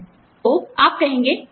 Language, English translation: Hindi, So, you will say, okay